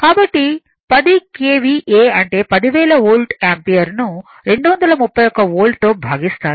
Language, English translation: Telugu, So, 10 KVA means, 10,000 Volt Ampere divided by that 231 Volts